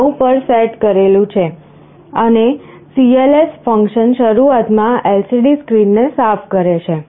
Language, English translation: Gujarati, 9 and cls function initially clears the LCD screen